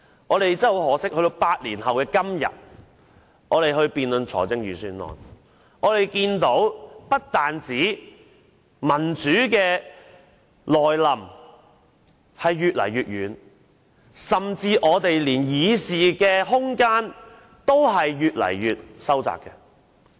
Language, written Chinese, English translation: Cantonese, 很可惜，到了8年後的今天，我們在辯論預算案時，只看見民主不但越來越遠，甚至連議事空間也越收越窄。, Most regrettably it is now eight years later and in our debate on the Budget today we can only see that democracy has gone farther and farther away while our room to speak is getting narrower and narrower